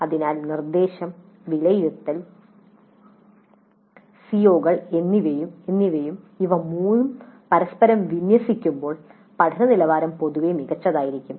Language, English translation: Malayalam, So instruction, assessment and COs and when all these three are aligned to each other the quality of learning will be generally better